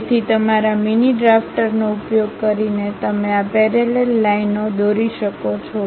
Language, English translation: Gujarati, So, using your mini drafter you can really draw these parallel lines